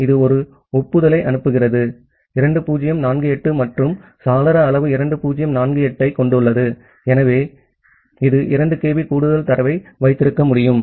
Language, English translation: Tamil, So, it sends an acknowledgement to it, 2048 and the window size has 2048 so, it can hold 2 kB of more data